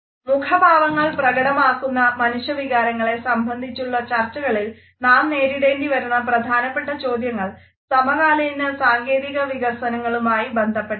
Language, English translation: Malayalam, The questions which nowadays we have to grapple as far as the expression of human emotions on our face is concerned are more rated with contemporary technological developments